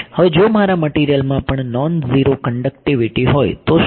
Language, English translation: Gujarati, Now, what if my material also has non zero conductivity